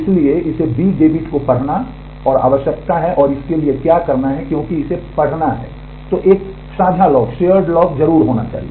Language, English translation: Hindi, So, it needs to read B debit and write and what it has to do since it has to read it must have a shared lock